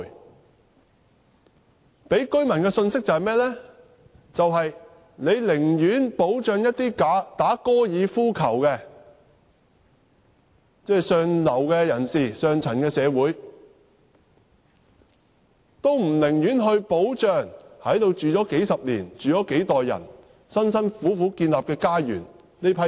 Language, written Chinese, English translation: Cantonese, 政府給予居民的信息是，政府寧願保障打高爾夫球的上流社會人士，也不願保障在這裏居住了數十年、數代人辛苦建立家園的人。, The Governments message for the residents is clear enough It rather upholds the interests of golf players who are in the upper class than protects the people who have been living in the place for decades and who have built up their homeland with generations of efforts